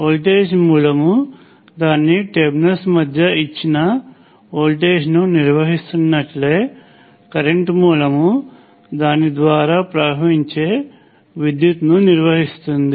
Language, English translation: Telugu, So just like a voltage source maintains a given voltage between its terminals; a current source maintains a given current flowing through it